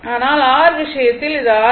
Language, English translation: Tamil, But, in the case of R this is this is only R right